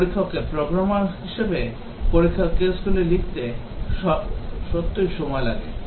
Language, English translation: Bengali, The tester takes time to really write the test cases as programs